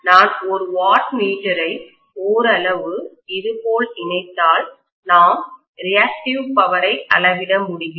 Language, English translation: Tamil, If I connect a wattmeter somewhat like this, we will be able to measure the reactive power